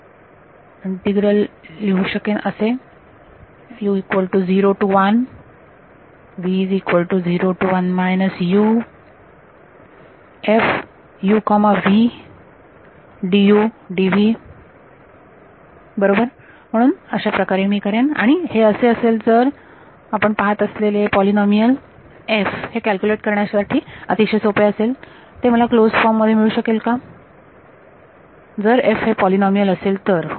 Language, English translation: Marathi, And d u right so, this is how I would do it and this is if f is polynomial you can see this will be very simple to calculate right can I get it can I get a closed form expression for it if f is polynomial yes